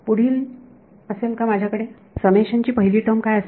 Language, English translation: Marathi, Will I have the next, what will be the first term of the summation